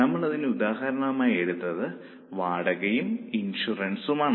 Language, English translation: Malayalam, For example, our examples were rent and insurance